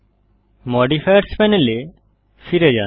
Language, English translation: Bengali, Go back to the Modifiers Panel